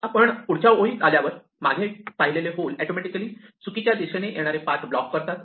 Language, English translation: Marathi, Now, when we come to the next row, the holes will automatically block the paths coming from the wrong direction